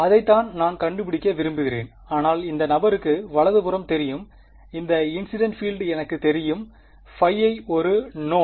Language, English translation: Tamil, That is what I want to find out, but I know the right hand side this guy I know the incident field phi i is known